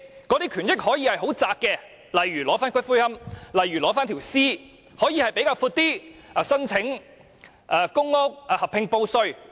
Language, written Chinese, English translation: Cantonese, 這些權益可以是狹窄的，例如取回骨灰、遺體；亦可以比較寬闊，例如申請公屋、合併報稅。, These rights and benefits can be narrow such as claiming the ashes and body of the deceased; or they can be broader such as applications for public rental housing joint assessment for tax and so on